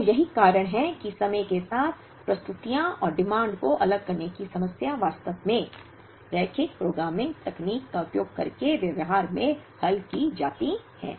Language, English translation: Hindi, So, that is how the disaggregation problem with time varying productions and demands, is actually solved in practice, using linear programming technique